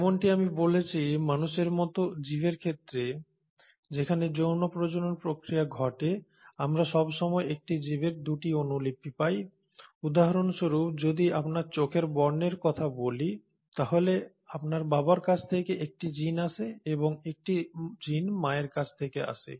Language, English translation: Bengali, As I said, in organisms like human beings, where there is a process of sexual reproduction taking place, we always get 2 copies of a gene, say for example if for your eye colour you will have a gene coming from your father and a gene coming from your mother